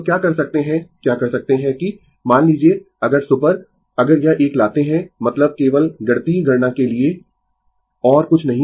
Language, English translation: Hindi, So, what you can what you can do is, suppose if I super if I bring this one, I mean just for the mathematical computation, nothing else